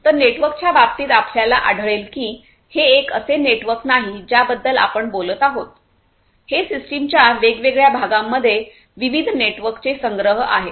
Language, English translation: Marathi, So, which network many many cases you will find that it is not a single network that we are talking about, it is a collection of different different networks in the different parts of the system